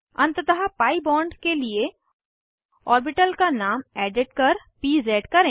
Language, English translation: Hindi, Finally for the pi bond, edit the name of the orbital as pz